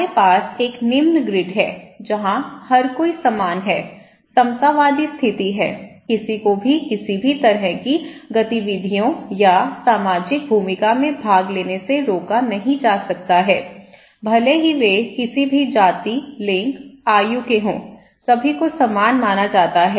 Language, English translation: Hindi, So, we have like low grid where everybody is equal, egalitarian state of affairs, no one is prevented to participate in any kind of activities or social role depending irrespective of their race, gender, age or so forth, everybody is considered to be equal